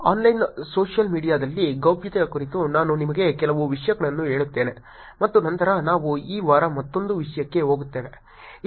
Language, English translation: Kannada, Let me tell you few things more about privacy on Online Social Media and then we move on to another topic this week